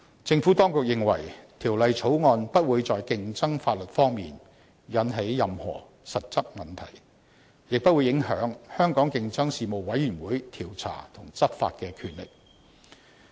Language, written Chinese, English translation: Cantonese, 政府當局認為《條例草案》不會在競爭法例方面，引起任何實質問題，亦不會影響香港競爭事務委員的調查及執法權力。, The Administration considers that the Bill will not give rise to any real competition law concerns; nor will it affect the investigative and enforcement powers of the Competition Commission